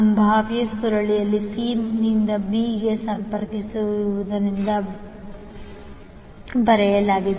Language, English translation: Kannada, Vcb is written because the potential coil is connected from c to b